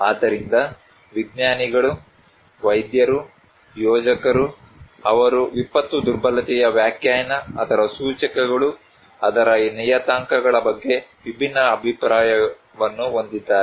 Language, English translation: Kannada, So, scientists, practitioners, planners, they have different opinion about the definition of disaster vulnerability, its indicators, its parameters